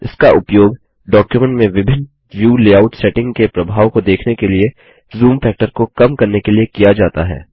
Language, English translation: Hindi, It is used to reduce the zoom factor to see the effects of different view layout settings in the document